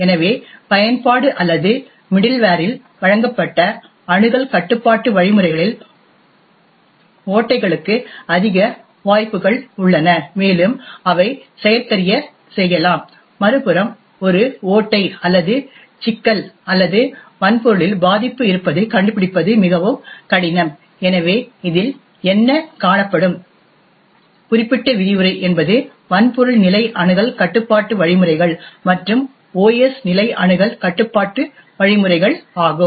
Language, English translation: Tamil, So, essentially access control mechanisms provided in the application or middleware are more prone to loopholes and can be exploited, on the other hand finding a loophole or a problem or a vulnerability in the hardware is far more difficult, so what will be seeing in this particular lecture is some of the hardware level access control mechanisms and also the OS level access control mechanisms